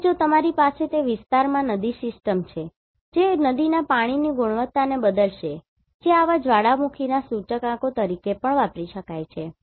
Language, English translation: Gujarati, And, if you have a river system in that area that will change the quality of the river water that can also be used as an indicator of such volcanic eruption